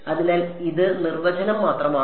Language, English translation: Malayalam, So, this is just definition all right